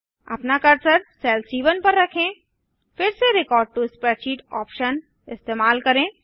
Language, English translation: Hindi, Place your cursor on cell C1, again use the record to spreadsheet option